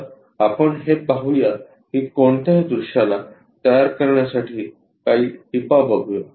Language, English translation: Marathi, So, let us look at that these are the few tips to construct any views